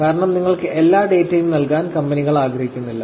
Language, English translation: Malayalam, Because, I am sure, the companies do not want to give you all the data also